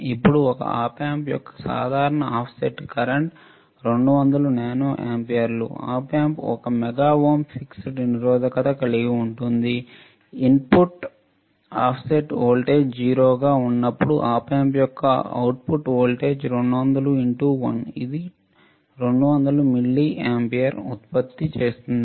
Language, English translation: Telugu, Now, a typical offset current of an Op Amp is 200 nano amperes it results that within Op Amp has a feedback resistance of one mega ohm, the Op Amp would produce an output voltage of 200 into 1 which is 200 milliampere for 0 input offset voltage this much is the change